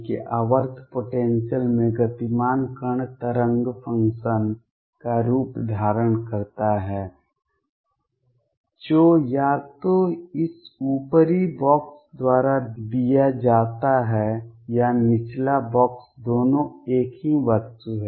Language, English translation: Hindi, That a particle moving in a periodic potential has the form of the wave function which is given either by this upper box or the lower box both are one and the same thing